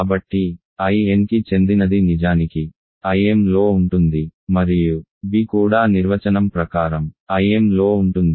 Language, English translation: Telugu, So, a belonging to I n is actually in I m and b also is contained in I m of course, by definition